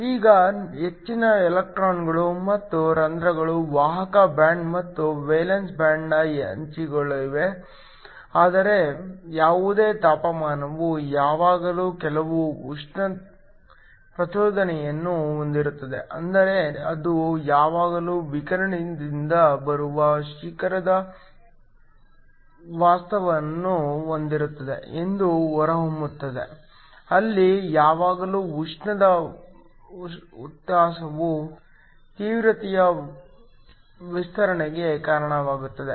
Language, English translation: Kannada, Now most of the electrons and the holes are located at the edges of the conduction band and valence band, but any given temperature there will always be some thermal excitation, which means that will always have some broadening of the peak that come of the radiation that comes out where always be some thermal excitation this leads to a broadening of the intensity